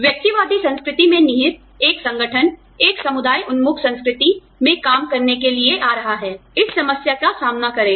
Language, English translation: Hindi, An organization, rooted in individualistic culture, coming to operate in a community oriented culture, will face this problem